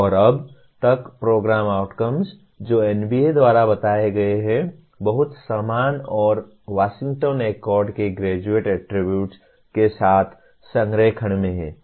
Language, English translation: Hindi, And as of now, the program outcomes that are stated by NBA are very similar and in alignment with Graduate Attributes of Washington Accord